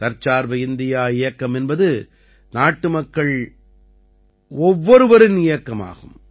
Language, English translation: Tamil, This campaign of 'Atmanirbhar Bharat' is the every countryman's own campaign